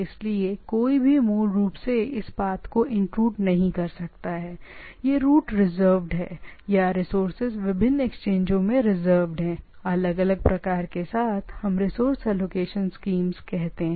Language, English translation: Hindi, So, that nobody can basically intrude into this path in other sense this path is reserved or the resources are reserved at different exchanges, at different with different type of what we say resource allocations schemes, right